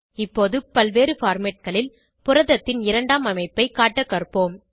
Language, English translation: Tamil, Next, let us learn to display the secondary structure of the protein in various formats